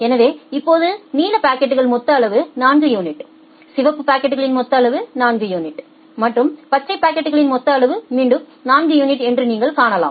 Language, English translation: Tamil, So, you can see that now total amount of blue packet is 4 unit, total amount of red packet is 4 unit and total amount of green packet is again 4 unit